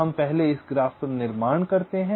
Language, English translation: Hindi, we first construct this graph